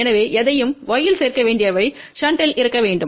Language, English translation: Tamil, So, anything which needs to be added in y has to be in shunt